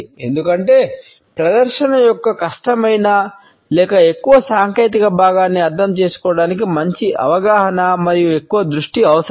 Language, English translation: Telugu, Because it is thought that understanding of difficult or more technical part of the presentation require better understanding and more focus